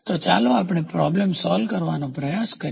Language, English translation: Gujarati, So, let us try to solve a problem